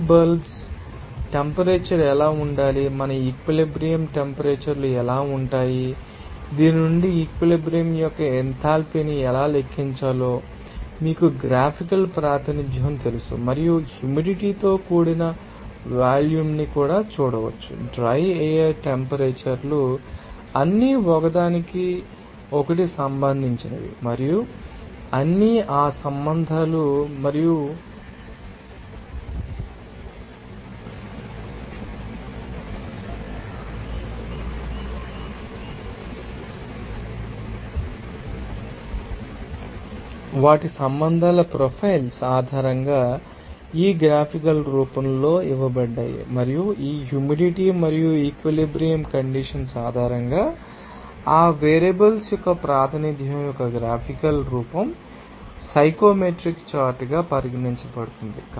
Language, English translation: Telugu, What should be the wet bulb temperature what our saturation temperatures are how to calculate that enthalpy of the saturation from this you know graphical representation and also watch the humid volume, what is the dry air temperatures are all are related to each other, and all those relations and based on their relations profiles are given in this graphical form, and this graphical form of representation of those variables based on this humidity and saturation condition will be regarded as a psychometric chart